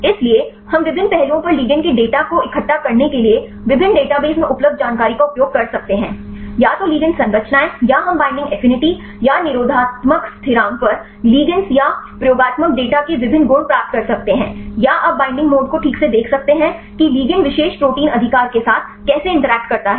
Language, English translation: Hindi, So, we can utilize the information available in different databases right to collect the data of the ligands on various aspects; either the ligand structures or we can get different properties of the ligands or the experimental data on the binding affinity or the inhibitory constant or you can see binding mode right how the ligand interacts with the particular protein right